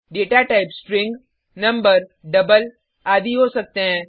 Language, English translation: Hindi, The data type can be string, number, double etc